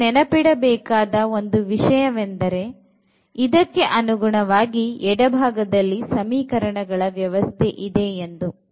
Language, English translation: Kannada, We should always keep in mind that corresponding to this we have actually the system of equations you are given in the left